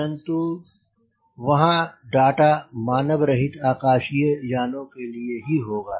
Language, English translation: Hindi, but how were the data will be for unmanned aerial vehicle